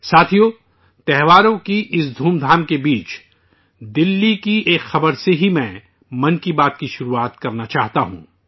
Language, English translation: Urdu, Friends, amid the zeal of the festivities, I wish to commence Mann Ki Baat with a news from Delhi itself